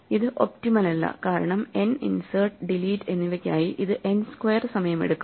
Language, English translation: Malayalam, This is not optimal because over a sequence of n inserts and deletes this takes time order n square